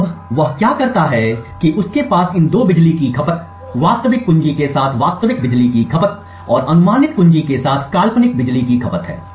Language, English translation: Hindi, So now what he does, he has, these two power consumptions, the actual power consumption with the real key and the hypothetical power consumption with the guessed key